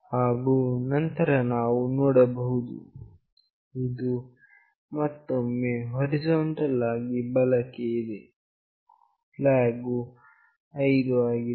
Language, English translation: Kannada, And then we see that it is again horizontally right with flag 5